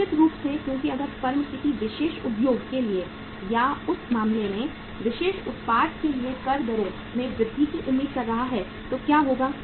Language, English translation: Hindi, Certainly because if the firm is is expecting the increase in the tax rates for a particular industry or for the particular product in that case what will happen